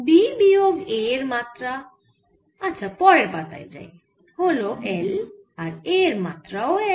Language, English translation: Bengali, the dimension of b minus a lets forward, it is l and for a it is also l